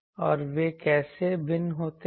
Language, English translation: Hindi, \ And how they vary